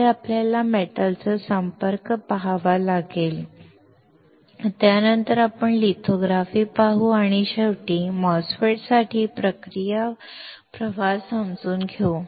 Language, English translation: Marathi, Next we have to see the metal contact, after which we will see lithography and finally, understand the process flow for the MOSFET